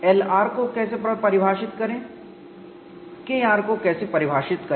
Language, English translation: Hindi, How to define L r, how to define K r